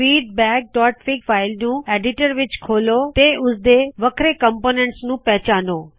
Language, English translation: Punjabi, View the file feedback.fig in an editor, and identify different components